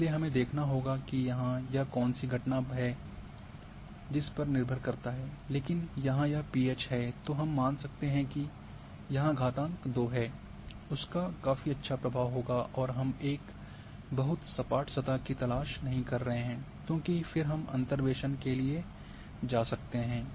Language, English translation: Hindi, So, it depending on what phenomena here it is pH we can assume that it is it is power two will have a quite good influence and we are not looking for a very smooth surface and then we can go for interpolation